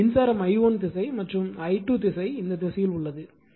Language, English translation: Tamil, Now, question is is current i1 is direction and i 2 is direction direction in this direction